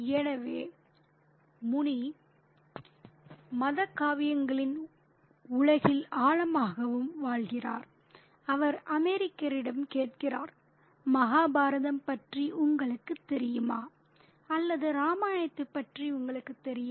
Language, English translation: Tamil, So, Muni delves deeper and deeper into the world of the religious epics and he asks the American, do you know about the Mahabhartha or do you know about the Ramayana